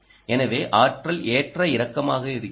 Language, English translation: Tamil, so the energy is fluctuating